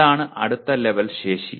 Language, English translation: Malayalam, That is the next level capacity